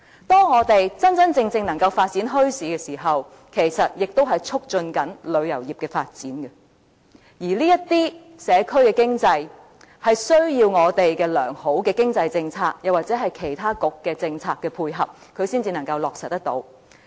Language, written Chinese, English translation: Cantonese, 當我們能真正發展墟市時，其實亦在促進旅遊業的發展；而這些社區經濟活動需要我們的良好經濟政策或其他局的政策配合，才能得以落實。, The real development of bazaars can in fact also promote tourism development . But before these local community economic activities can really take place the support of sound economic policies or the policy support of other bureaux must be available